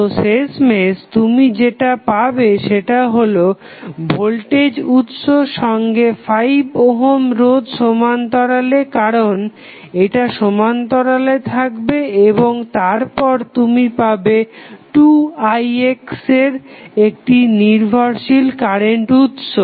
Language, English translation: Bengali, So, finally, what you are getting here is nothing but the voltage source in parallel with another 5 ohm resistance because this will be in parallel and then you will have dependent current source of 2Ix